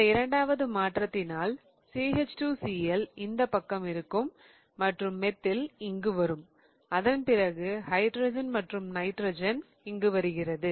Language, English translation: Tamil, In the second swap I get CH2 CL on this side and then methyl will come here and then the hydrogen and then the nitrogen